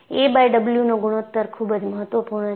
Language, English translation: Gujarati, So, a by W ratio is very important